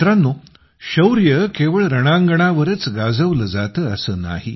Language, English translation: Marathi, it is not necessary that bravery should be displayed only on the battlefield